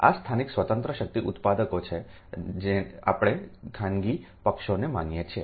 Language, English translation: Gujarati, these are the local independent power producers, we assume the private parties